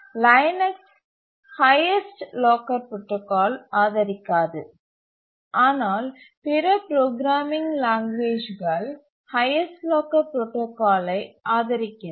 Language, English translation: Tamil, Linux does not support highest lacred protocol, but other programming language supports highest language supports highest locker protocol